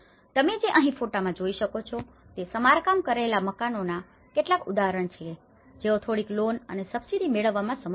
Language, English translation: Gujarati, What you can see here is some examples of the repaired houses so here they could able to procure some loans and subsidies